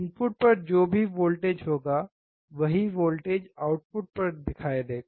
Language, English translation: Hindi, Whatever voltage will be at the input, same voltage will appear at the output